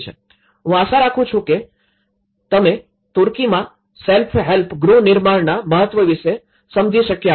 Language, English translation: Gujarati, I hope you understand about the importance of the self help housing reconstruction in Turkey, thank you very much